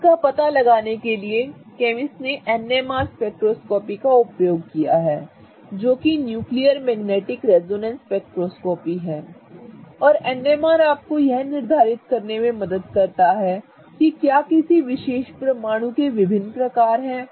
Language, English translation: Hindi, In order to detect this, chemists used something called as NMR spectroscopy which is nuclear magnetic resonance spectroscopy and NMR helps you to determine if there are different types of a particular atom